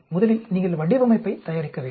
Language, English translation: Tamil, First, you need to prepare the design